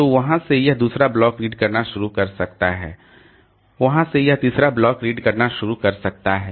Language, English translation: Hindi, So, from there it can start reading the second block, from there it can start reading the third block